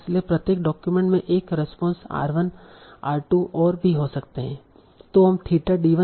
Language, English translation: Hindi, So, each document might have a response, R1, R2, and so on